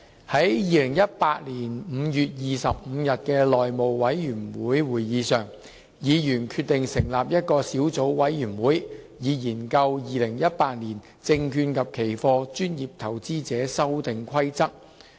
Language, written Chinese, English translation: Cantonese, 在2018年5月25日的內務委員會會議上，議員決定成立一個小組委員會，以研究《2018年證券及期貨規則》。, At the meeting of the House Committee on 25 May 2018 Members decided to form a Subcommittee to study the Securities and Futures Amendment Rules 2018